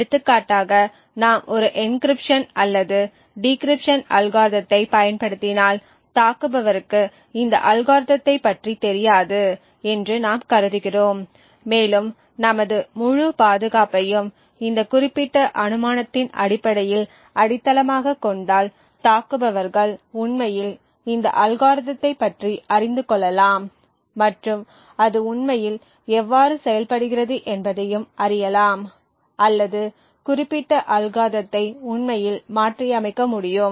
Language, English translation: Tamil, For example if we use an encryption or a decryption algorithm and we assume that the attacker does not know about this algorithm and we base our entire security on this particular assumption it may be possible that attackers actually learn about this algorithm and how it actually functions or is able to actually reverse engineer the specific algorithm